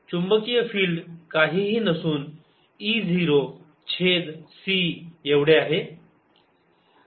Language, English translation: Marathi, the magnetic field magnitude is nothing but e, zero over c